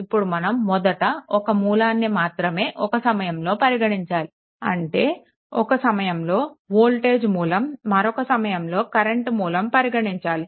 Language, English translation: Telugu, So, in that case what we what will do, will consider one source at a time, once will consider this voltage source or will consider the current source right